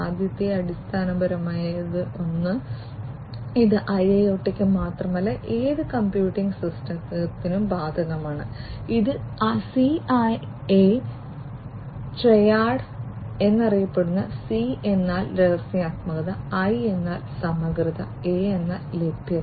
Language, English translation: Malayalam, The first one is the basic one the fundamental one which is not only applicable for IIoT but for any computing system, this is known as the CIA Triad, C stands for confidentiality, I stands for integrity and A stands for availability